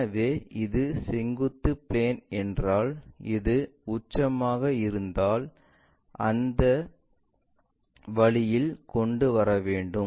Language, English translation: Tamil, So, we have to make if this is the vertical plane, if this one is apex it has to be brought in that way